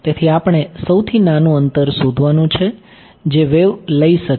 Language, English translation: Gujarati, So, we have to find out the shortest distance that wave could take